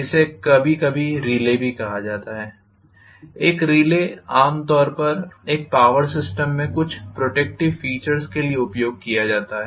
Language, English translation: Hindi, This is also sometimes called as a relay; a relay typically is used for some protective features in a power system